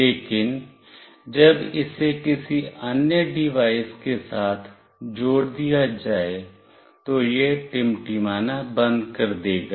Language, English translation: Hindi, But, when it is connected with another device, then it will stop blinking